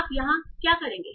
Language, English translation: Hindi, So what you will do here